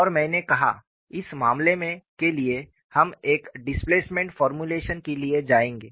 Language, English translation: Hindi, And I said, for this case, we would go for a displacement formulation